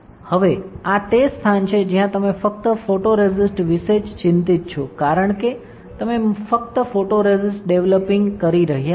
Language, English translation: Gujarati, Now, this is where you are only worried about the photoresist because you are only developing photoresist